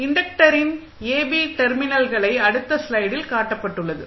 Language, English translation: Tamil, At the inductor terminal AB which is shown in the next slide